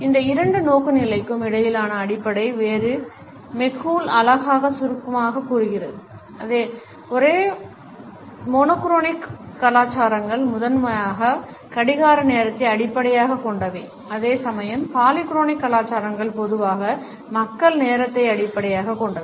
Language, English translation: Tamil, The basic difference between these two orientations has been beautifully summed up by McCool when he says that the monochronic cultures are based primarily on clock time whereas, polychronic cultures are typically based on people time